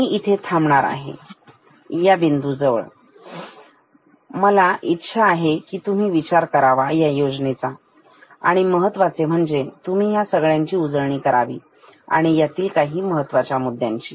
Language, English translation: Marathi, I will stop at this point because I want you to think about this scheme and particularly you just recall a few important points